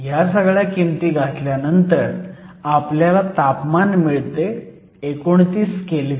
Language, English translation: Marathi, So, This we can substitute in, so temperature we can calculate to be 29 kelvin